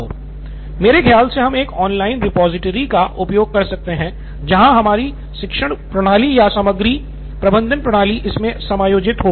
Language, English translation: Hindi, So probably we can use a online repository where our learning management system or content management system is incorporated into it